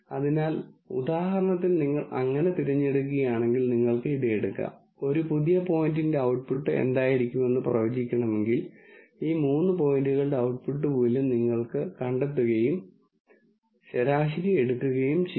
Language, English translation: Malayalam, So, for example, if you so choose to, you could take this and then let us say if you want to predict what an output will be for a new point, you could find the output value for these three points and take an average